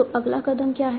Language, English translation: Hindi, So what was the next step